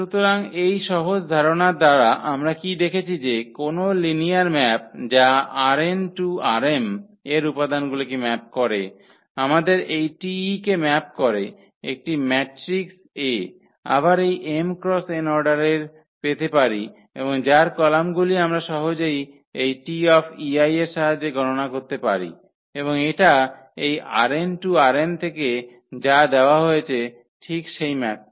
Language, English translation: Bengali, So, by this simple idea what we have seen that any linear map which maps the elements of R n to R m we can have matrix here corresponding to this T e map we can have a matrix A of order again this m cross n and whose columns we can easily compute with the help of this T e i’s and this will give exactly the map which is given as this from R n to R m